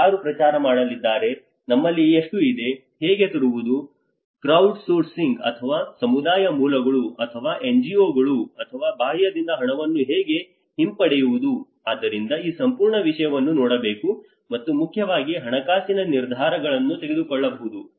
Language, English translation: Kannada, Who is going to promote, how much we have, how to bring, how to pull out funding from the crowdsourcing or the community sources or an NGOs or an external so this whole thing has to be looked at and mainly the financial decisions may be taken at different points in the cycle, so one has to keep reviewing intermediately